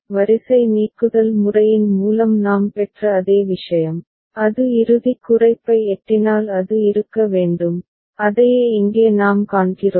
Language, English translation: Tamil, The same thing we obtained through row elimination method also, it has to be if it is reaching the final minimization and then that is what we see over here